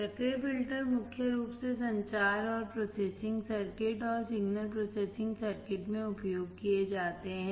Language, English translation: Hindi, Active filters are mainly used in communication and processing circuits and signal processing circuit